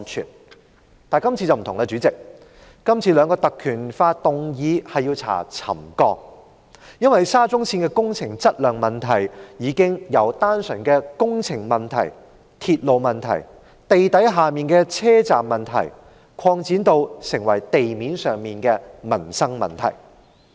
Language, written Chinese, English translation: Cantonese, 主席，但今次卻有所不同，今次兩項議案動議引用《條例》調查沉降，因為沙中線的工程質量問題，已經由單純的工程問題、鐵路問題、地底的車站問題，擴展成為地面上的民生問題。, The two motions propose to inquire into the settlement by invoking the powers under PP Ordinance as the quality issues of SCL have extended from problems of the works the railway and the underground stations to livelihood issues above ground